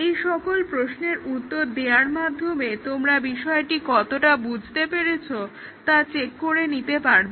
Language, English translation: Bengali, So, to answer this question, you can check your own understanding